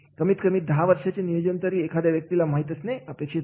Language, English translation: Marathi, At least 10 years planning for an individual is to be done